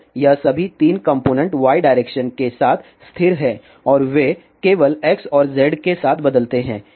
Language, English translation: Hindi, And all of these 3 components are constant along y direction and they vary along X and Z only